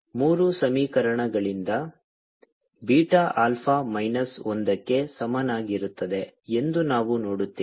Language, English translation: Kannada, so from equations three we see that beta is equal to alpha minus one